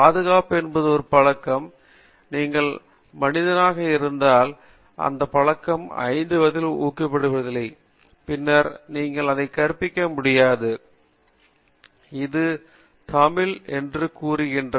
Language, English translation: Tamil, Now, security is a habit, if you take human being, if that habit is not inculcated at the age of 5, you cannot inculcate it till symmetry, this is saying in Tamil [FL]